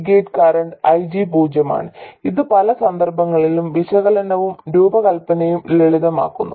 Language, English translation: Malayalam, The gate current IG is zero which makes analysis and even design simple in many cases